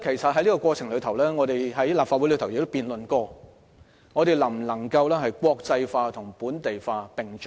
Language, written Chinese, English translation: Cantonese, 在這過程中，我們曾在立法會辯論能否國際化和本地化並重。, In the process we have debated in the Legislative Council whether equal importance can be attached to internationalization and localization